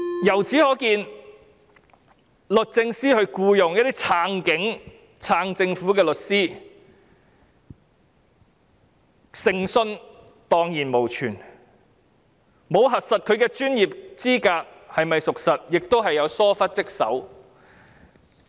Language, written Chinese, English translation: Cantonese, 由此可見，律政司僱用一些支持警察、支持政府的律師，誠信蕩然無存，沒有核實其專業資格是否屬實，亦是疏忽職守。, It is thus clear that the Department of Justice engages certain pro - police and pro - government lawyers and its credibility has vanished . The failure to verify her professional qualifications also points to dereliction of duty on its part